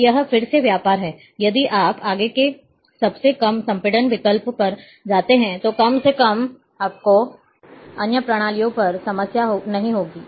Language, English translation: Hindi, So, it is a again trade, of if you go further lowest compression option, at least you will not have problem on other systems